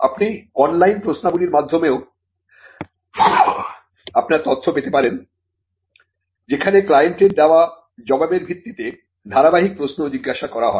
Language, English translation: Bengali, You could also get your information through an online questionnaire, where a series of questions are asked, based on the reply given by the client